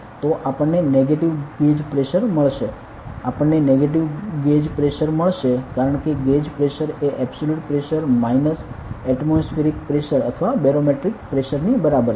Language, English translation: Gujarati, Because the gauge pressure is equal to the absolute Pressure minus atmospheric Pressure or barometric Pressure